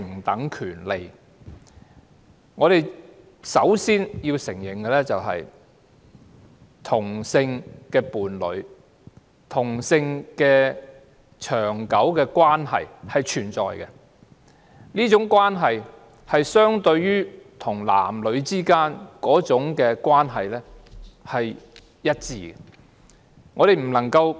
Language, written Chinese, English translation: Cantonese, 首先，我們要承認，同性伴侶的長久關係是存在的，這種關係與男女之間的關係是一致的。, First off we have to acknowledge the existence of a long - term relationship in homosexual couples . It is consistent with that between man and woman